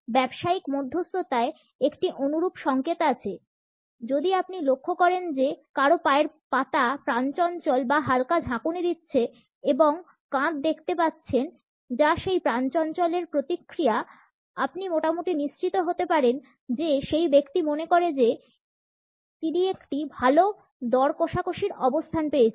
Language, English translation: Bengali, In business negotiations there is a similar signal; if you notice someone’s feet bouncing or you see the jiggling and the shoulders that is a reaction from that bounce; you can be pretty much assured that that person feels that he is got a good bargaining position